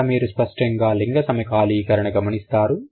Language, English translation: Telugu, So, there you clearly see a gender syncretism